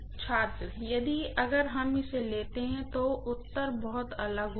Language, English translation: Hindi, But if we take that, the answer will be very different